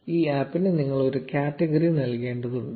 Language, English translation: Malayalam, You need to assign a category to this app